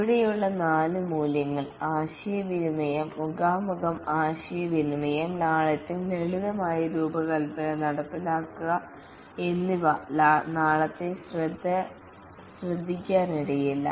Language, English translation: Malayalam, The four values here, communication, face to face communication, simplicity, implement the simplest design, may not pay attention for tomorrow, make it work